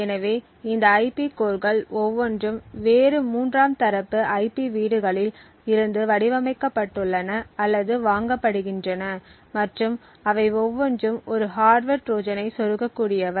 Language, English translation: Tamil, So, each of these IP cores is designed or purchased from a different third party IP house and each of them could potentially insert a hardware Trojan